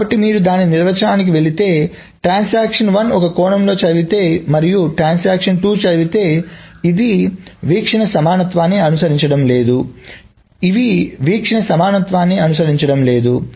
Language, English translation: Telugu, So if you're going back to the definition, if this happens that transaction 1 reads it in one sense and transaction 2 reads it, then this is not following the view equivalence, neither is this following the view equivalent